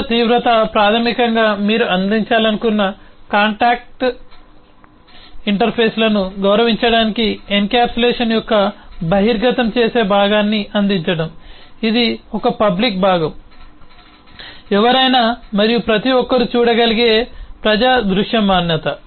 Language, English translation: Telugu, the other extreme is basically to provide the exposing part of the encapsulation, to honour that contractual interfaces that you wanted to provide, which is a public parts, the public visibility, which anybody and everybody can have a look at